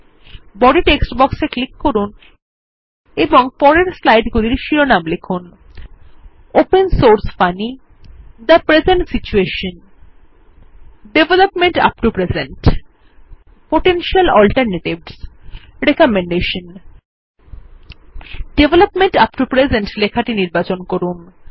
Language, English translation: Bengali, Click on the Body text box and type the titles of the succeeding slides as follows: Open Source Funny The Present Situation Development up to present Potential Alternatives Recommendation Select the line of text Development up to present